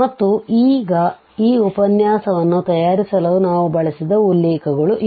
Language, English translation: Kannada, And now these are the references we have used for preparing this lecture